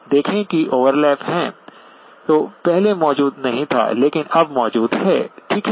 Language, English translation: Hindi, See there is an overlap which previously was not present but now is present, okay